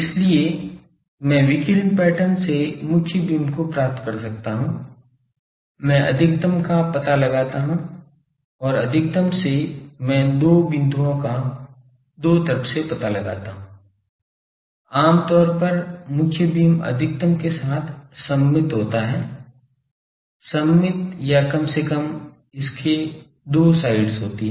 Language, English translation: Hindi, So, I can from the radiation pattern I can find the main beam, I locate the maximum and from maximum I locate the two points in the two sides usually the main beam is symmetric about the maximum mating; symmetric or at least it has two sides